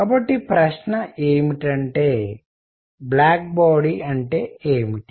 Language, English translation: Telugu, So, question is; what is a black body